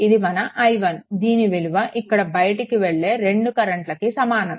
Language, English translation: Telugu, So, this is your i 1 right and and is equal to other 2 currents are leaving